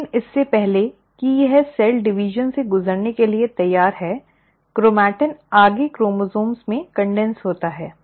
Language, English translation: Hindi, But right before it is ready to undergo cell division, the chromatin further condenses into chromosome